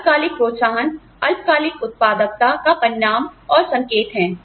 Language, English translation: Hindi, Short term incentives are, indicative of, and a result of short term productivity